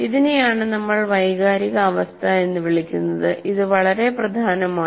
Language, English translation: Malayalam, So this is what we call the emotional climate and this is very central